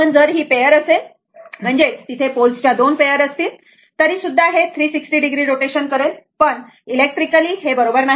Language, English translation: Marathi, But if it is may pair your if you have 2 pairs of pole, although it will make your what you call that your 360 degree rotation, but electrically it is not, electrically it is not right